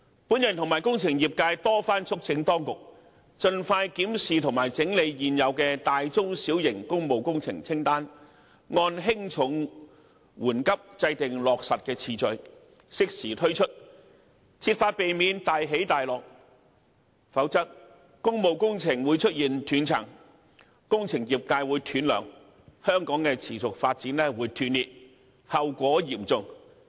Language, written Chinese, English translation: Cantonese, 本人與工程業界多番促請當局盡快檢視及整理現有的大、中、小型工務工程清單，按輕重、緩急制訂落實次序，適時推出，設法避免"大起大落"，否則工務工程會出現斷層、工程業界會"斷糧"、香港持續發展會斷裂，後果嚴重。, I and the engineering sector have repeatedly urged the authorities to promptly review and compile a list of large medium and small public works projects and then set priorities based on their significance so as to timely carry out the projects without leading to fluctuations in workloads . Otherwise a gap in work projects will appear cutting off the income stream of the engineering sector and further disrupting Hong Kongs sustainable development . The outcome will be tragic